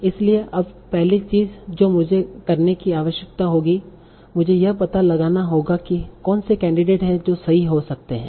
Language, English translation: Hindi, So now the first thing I will need to do, I will need to find out what are the candidate words that might be correct